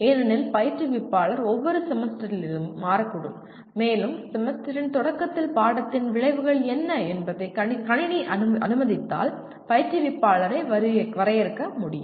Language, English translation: Tamil, Because instructor may change from semester to semester and if the system permits instructor himself can define at the beginning of the semester what the course outcomes are